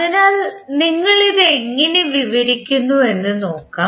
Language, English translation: Malayalam, So, let us see how we describe it